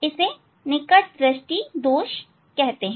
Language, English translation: Hindi, it is called far sightedness